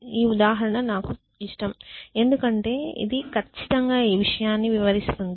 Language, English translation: Telugu, So, I like this example, because it illustrates exactly this point